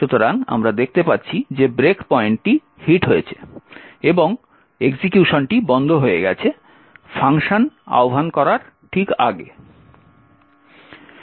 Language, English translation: Bengali, So, we see that the break point has been hit and the execution has stopped just before the function has been invoked